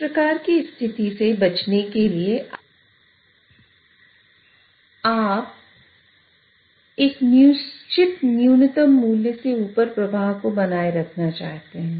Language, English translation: Hindi, So, in order to avoid such a case, you would also want to control the flow above a certain minimum value